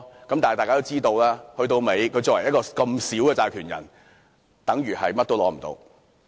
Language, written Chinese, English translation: Cantonese, 然而，大家都知道作為一個款額這麼少的債權人，等於甚麼都得不到。, However everyone understands that creditors involving such tiny amounts can almost claim nothing back